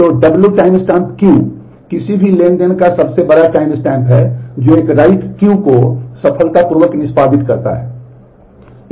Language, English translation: Hindi, So, w timestamp Q is the largest time stem of any transaction that executed a write Q successfully